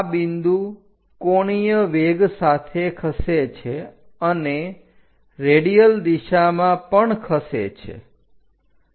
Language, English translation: Gujarati, This point moves with the angular velocity and also radial direction